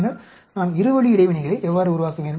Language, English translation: Tamil, Then how do I generate the two way interaction